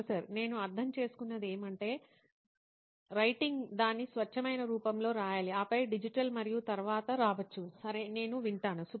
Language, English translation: Telugu, What I understand is that writing has to be writing in its purest form and then maybe digital and all that can come later, okay I hear you